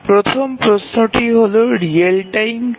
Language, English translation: Bengali, So, the first question is that what is real time